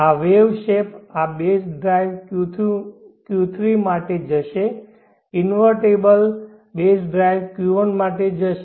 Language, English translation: Gujarati, This wave shape, this base drive will go for Q3 inverted base drive will go for Q1